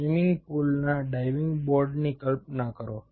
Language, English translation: Gujarati, imagine a diving board of a swimming pool